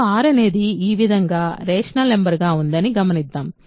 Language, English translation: Telugu, So, let us look at R now to be rational numbers of this form